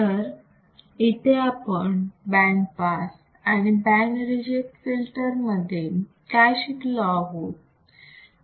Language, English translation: Marathi, One is band pass filter and another one is band reject filters